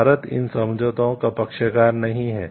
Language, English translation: Hindi, India is not a member of these treaties is there